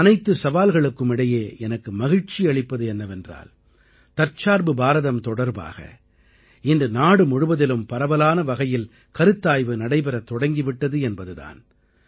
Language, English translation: Tamil, Amidst multiple challenges, it gives me joy to see extensive deliberation in the country on Aatmnirbhar Bharat, a selfreliant India